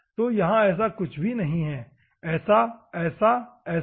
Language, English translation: Hindi, So, there is nothing is there like this, like this, like this